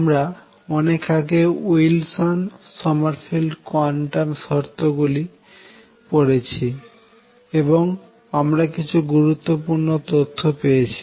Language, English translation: Bengali, What we done so far as did the Wilson Sommerfeld quantum conditions, and got some result more importantly